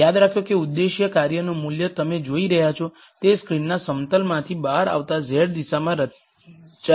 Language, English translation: Gujarati, Remember that the value of the objective function is going to be plotted in the z direction coming out of the plane of the screen that you are seeing